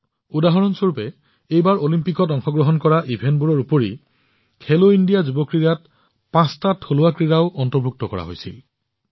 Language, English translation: Assamese, For example, in Khelo India Youth Games, besides disciplines that are in Olympics, five indigenous sports, were also included this time